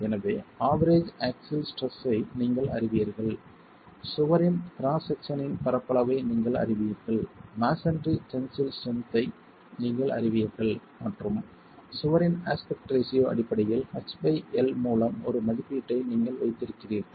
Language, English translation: Tamil, So, you know the average axial stress, you know the area of cross section of the wall, you know the tensile strength of masonry and you have an estimate based on the aspect ratio of the wall H